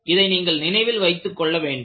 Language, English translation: Tamil, So, this is what you will have to keep in mind